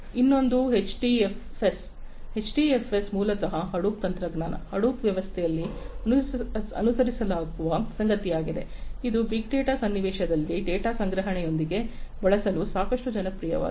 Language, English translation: Kannada, Another one is HDFS, HDFS is basically something that is followed in the Hadoop technology, Hadoop system, which is quite popular for use with storage of data, in the big data context